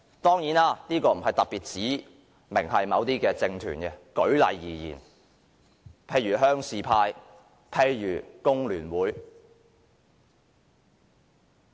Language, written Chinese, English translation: Cantonese, 當然，這並非特別指明某些政團，只是舉例而言而已，譬如鄉事派、工聯會等。, Of course I am not talking about any particular political groups . I just want to give some examples such as the rural forces the Hong Kong Federation of Trade Unions and so on